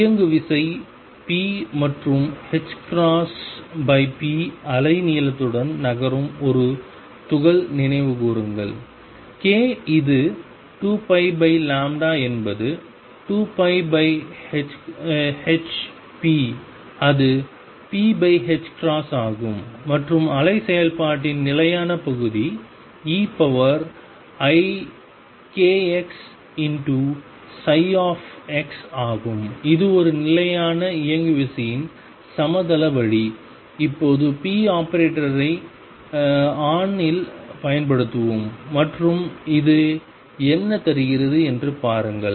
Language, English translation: Tamil, Recall for a particle moving with momentum p wave length is h over p k which is 2 pi over lambda is 2 pi over h p which is p over h cross and the static part of the wave function is e raise to i k x psi x it is a plane way for a fixed momentum and let us now apply p operator on psi x and see what does it give